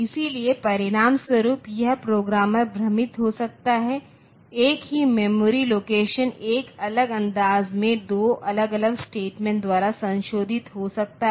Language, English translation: Hindi, So, as a result it is the programmer may get confused the same memory location may get modified by two different statements in a different fashion